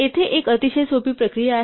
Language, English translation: Marathi, So, here is a very simple procedure